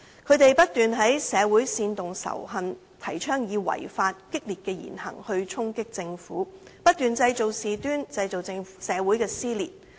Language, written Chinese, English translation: Cantonese, 他們不斷在社會煽動仇恨，提倡以違法、激烈的言行去衝擊政府，不斷製造事端，製造社會撕裂。, They constantly incite hatred in society and attack the Government by law - breaking actions and radical comments . They also constantly make trouble and create social dissension